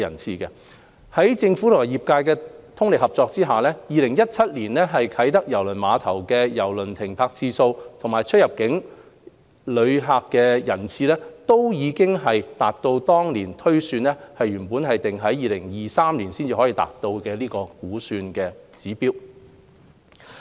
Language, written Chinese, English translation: Cantonese, 在政府及業界的通力合作下 ，2017 年啟德郵輪碼頭的郵輪停泊次數及出入境郵輪乘客人次均已達到當年推算全港至2023年才可達到的估算指標。, With the joint efforts of the Government and the trade the number of ship calls and cruise passenger throughput at KTCT in 2017 have both achieved the then projected performance by 2023